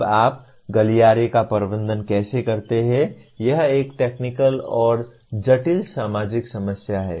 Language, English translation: Hindi, Now how do you manage the corridor is a both a technical and a complex social problem